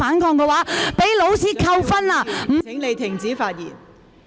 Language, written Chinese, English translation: Cantonese, 蔣麗芸議員，請你停止發言。, Dr CHIANG Lai - wan please stop speaking